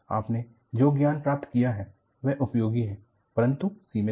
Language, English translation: Hindi, You have gained knowledge, the knowledge is useful, but it is limited